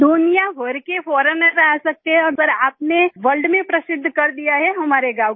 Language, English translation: Hindi, Foreigners from all over the world can come but you have made our village famous in the world